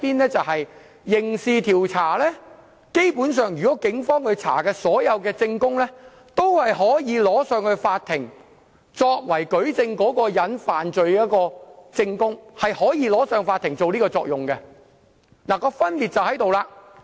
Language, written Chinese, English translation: Cantonese, 當進行刑事調查時，警方調查所得的所有證供基本上都可呈交法庭作為舉證被告犯罪的證據，是可以在法庭發揮這種作用的，分別就在這裏。, Any evidence the Police find in a criminal investigation can basically be used in court as evidence to substantiate the allegations against the accused . The evidence has this function in court . This is where the difference is